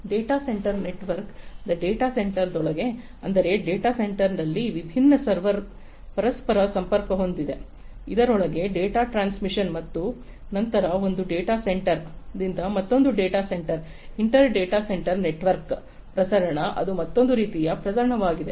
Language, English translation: Kannada, Within a data center network of data center; that means, different servers interconnected with each other in a data center within that the transmission of the data and then from one data center to another data center, inter data center network transmission, that is another type of transmission